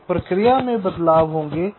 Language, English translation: Hindi, so there will be process variations